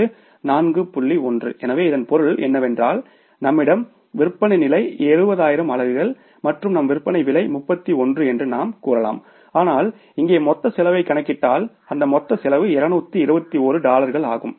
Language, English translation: Tamil, So, it means in this case you can say that we have the sales level is 7,000 units and our selling price is 31 but if you calculate the total cost here, the total cost becomes is $221 against the total sales value of the $217,000